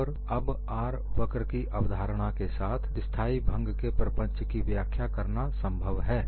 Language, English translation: Hindi, And now with the R curve concept, it is possible for us to explain the phenomenon of stable fracture